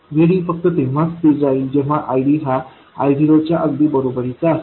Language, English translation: Marathi, VD will stay constant only if ID exactly equals I0